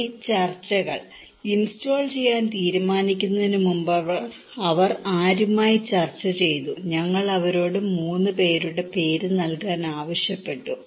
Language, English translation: Malayalam, Now discussions; with, whom they discussed about before they decided to install, we asked them to name 3 persons